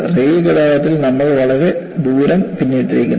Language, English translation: Malayalam, And in rail traffic, we have come a long way